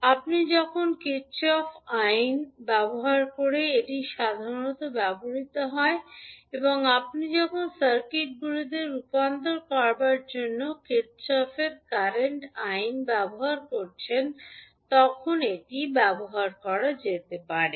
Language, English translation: Bengali, This would be usually utilized when you are using the Kirchhoff voltage law and this can be utilized when you are utilizing Kirchhoff current law for converting the circuits